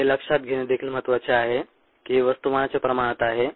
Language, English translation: Marathi, also important to note that this is on a mass bases